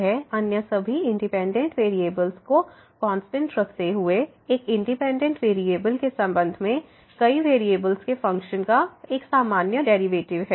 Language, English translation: Hindi, It is a usual derivative of a function of several variables with respect to one of the independent variable while keeping all other independent variables as constant